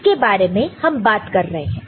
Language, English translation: Hindi, So, this is the line we are talking about